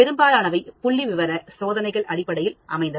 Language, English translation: Tamil, So, most of the statistical tests are based on that